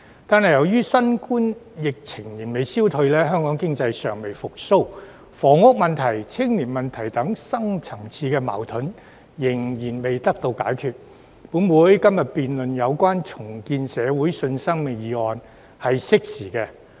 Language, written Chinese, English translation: Cantonese, 但由於新冠疫情仍未消退，香港經濟尚未復蘇，房屋問題、青年問題等深層次矛盾仍未解決，本會今天辯論有關"重建社會信心"議案是相當適時。, But since the economy of Hong Kong has not yet recovered from the COVID - 19 epidemic adding that deep - seated conflicts such as housing and youth problems are not yet resolved it is thus very timely for this Council to discuss the motion on Rebuilding public confidence today